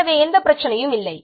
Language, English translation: Tamil, So, no problem